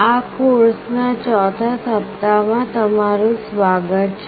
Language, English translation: Gujarati, Welcome to week 4 of the course